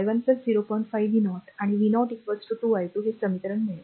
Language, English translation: Marathi, 5 v 0 and v 0 is equal to 2 i 2